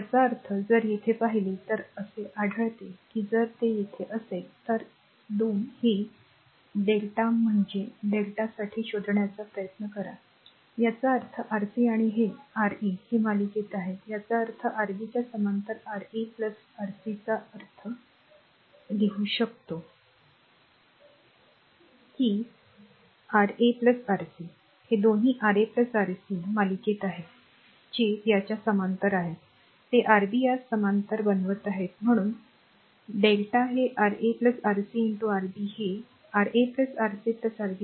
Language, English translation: Marathi, That means, if you look into here, you will find that if it is that if you try to find out here R 1 2 this delta means for delta connection right; that means, Rc and Ra they are in series right; that means, Ra plus Rc in parallel with Rb; that means, we can write this one is equal to hope you can this thing that Ra plus Rc; these 2 are in series Ra plus Rc with that parallel to this one these are making it parallel is Rb that means R 1 2 delta will be Ra plus Rc into Rb divided by Ra plus Rc plus Rb right